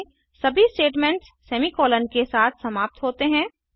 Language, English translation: Hindi, In Java, all statements are terminated with semicolons